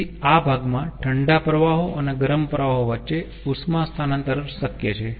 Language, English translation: Gujarati, so in this portion there would be possible heat transfer between the cold streams and the hot streams